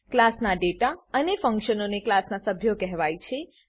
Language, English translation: Gujarati, The data and functions of the class are called as members of the class